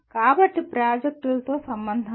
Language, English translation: Telugu, So do not relate to the projects